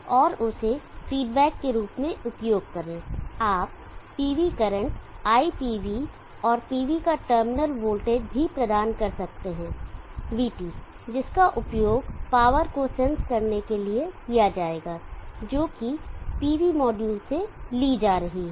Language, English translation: Hindi, And use that as a feedback you also provide the PB current IPB, and also the terminal voltage of the PV, VB which will be used for sensing the power that is being drawn from the PV module